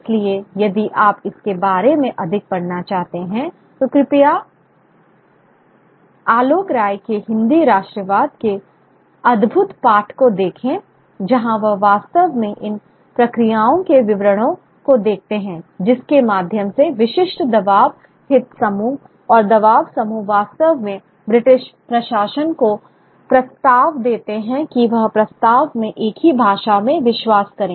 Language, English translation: Hindi, So, if you want to read more about it, please look at Alokai's wonderful text on Hindi nationalism where he actually looks at this the details of these processes through which specific pressure interest groups and pressure groups sort of approach the British administration and to British administration to actually give credence to one language or one particular way of doing Hindi over another